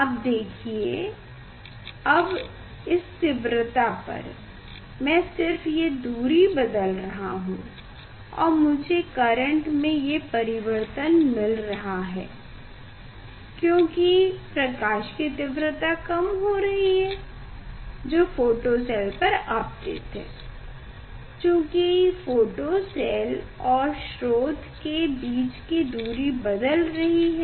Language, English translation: Hindi, you see for this now intensity I am just changing the distance and I am getting the variation of the current you know; because intensity of light is decreasing, falling on the photocell because the distance from the source to the photocell are changing